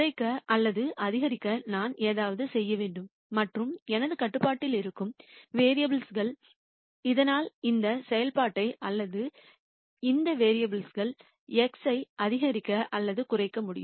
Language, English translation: Tamil, I have to do something to minimize or maximize and the variables that are in my control so that I can maximize or minimize this function or these variables x